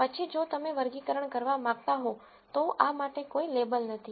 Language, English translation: Gujarati, Then if you want to do a classification there is no label for this